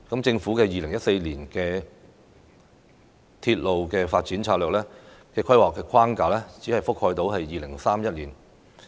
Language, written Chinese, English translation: Cantonese, 政府2014年公布的《鐵路發展策略2014》規劃框架只能覆蓋到2031年。, The planning framework in Railway Development Strategy 2014 announced by the Government in 2014 covers a period up to 2031 only